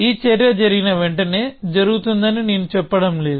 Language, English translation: Telugu, So, I am not saying that this action happens immediately after this